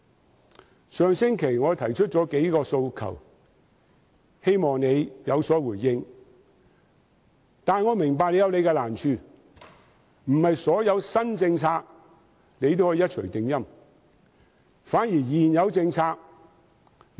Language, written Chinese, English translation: Cantonese, 我在上星期提出了數個訴求，希望司長能有所回應，但我明白司長有難處，不能對所有新政策做到一錘定音。, Last week I raised a number of aspirations hoping that the Financial Secretary would respond . But I understand that the Financial Secretary has his difficulties and may not have the final say on all new policies